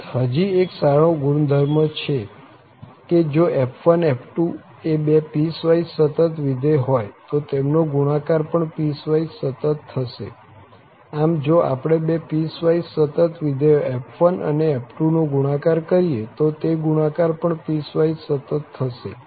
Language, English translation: Gujarati, Moreover, there is a one more nice property that if f1 f2 are two piecewise continuous functions then their product will be also piecewise continuous, so if we make a product of two piecewise continuous function f1 and f2 their product will be also piecewise continuous